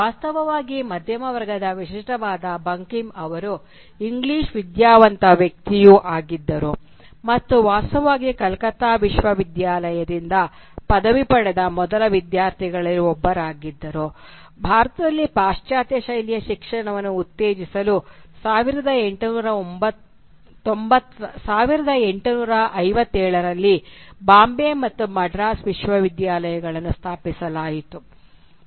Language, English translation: Kannada, Indeed, Bankim, typical of the middle class, he was also an English educated person and was in fact one of the first students to graduate from the Calcutta University which was set up in 1857 along with the universities of Bombay and Madras to promote western style education in India